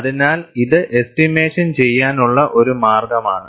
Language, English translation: Malayalam, So, this is one way of estimation